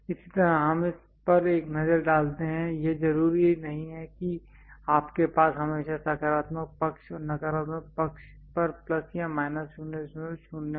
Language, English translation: Hindi, Similarly, let us look at this one its not necessary that you always have plus or minus 0